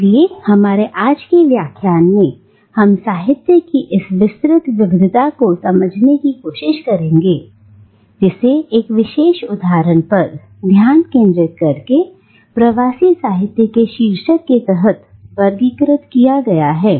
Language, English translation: Hindi, So in our lecture today we will try and understand this wide variety of literature that is categorised under the title of diasporic literature by focusing on one particular instance